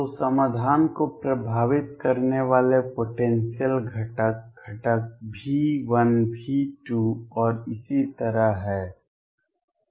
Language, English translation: Hindi, So, the potential components that affect the solution are the components V 1 V 2 and so on